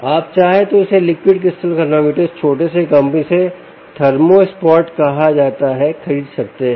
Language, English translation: Hindi, if you wish, you can buy this liquid crystal thermometer from this little ah ah company which is called thermospot